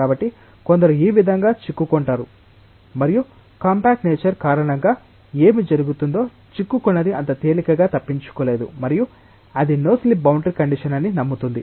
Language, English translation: Telugu, So, some will be entrapped like this and because of a compact nature, what will happen whatever is entrapped is not easily being escaped and that will make us believe that yes it will be no slip boundary condition